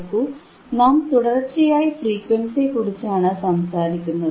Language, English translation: Malayalam, See, again and again I am talking repeatedly about frequency, frequency, frequency